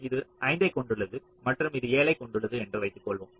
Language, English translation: Tamil, suppose this has five, this has seven